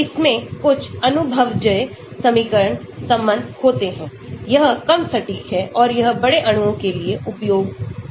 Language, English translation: Hindi, it has got some empirical equations relationship, it is less accurate and it can be used for larger molecule